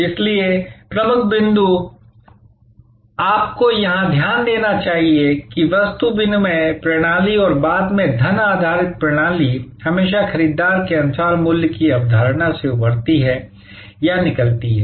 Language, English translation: Hindi, So, the key point therefore, you should note here, that the barter system and the later on the money based system, always emerge or have emerge from the concept of value as perceived by the buyer